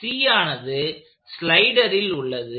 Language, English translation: Tamil, C happens to be in that slider